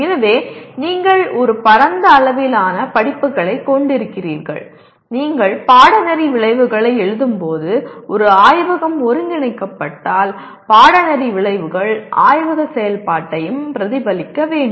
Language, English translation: Tamil, So you have a wide range of courses and when you write course outcomes it should, if there is a laboratory integrated into that the course outcomes should reflect the laboratory activity as well